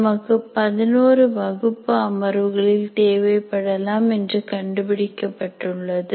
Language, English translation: Tamil, So, it was found that we require, we will require about 11 classroom sessions